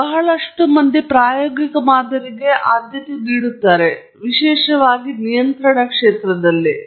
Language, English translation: Kannada, A lot of people really prefer that, particularly in control and so on